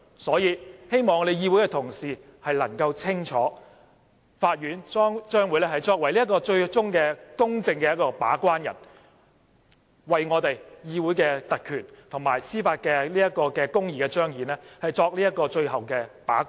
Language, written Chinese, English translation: Cantonese, 所以，希望我們議會的同事能清楚，法院最終將會是公正的把關人，為我們議會的特權及彰顯司法公義作最後把關。, Therefore I hope Members can note that the Court will play the role as a fair gatekeeper to guard the last line of defence for parliamentary privilege and the manifestation of judicial justice